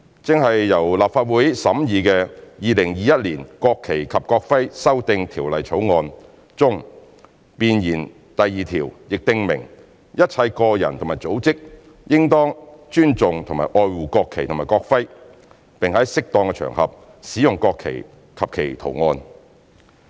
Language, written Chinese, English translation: Cantonese, 正由立法會審議的《2021年國旗及國徽條例草案》中，弁言第二條亦訂明"一切個人和組織都應當尊重和愛護國旗及國徽，並在適宜的場合使用國旗及其圖案"。, Currently under the scrutiny of the Legislative Council the National Flag and National Emblem Amendment Bill 2021 has set out in section 2 of its preamble that all individuals and organizations should respect and cherish the national flag and national emblem and use the national flag and its design on appropriate occasions